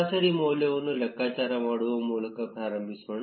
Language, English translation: Kannada, Let us begin by computing the average degree